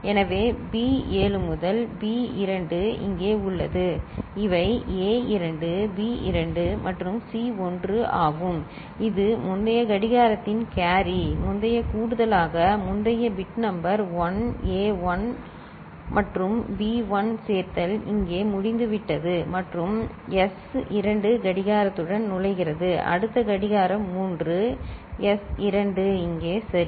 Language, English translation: Tamil, So, B 7 to B 2 is here so, these are A 2, B 2 and C 1 that is the carry of the previous clock previous addition, previous bit number one – A 1 and B 1 addition is over here and S 2 is entering with the clock, next clock 3, S 2 will enter here ok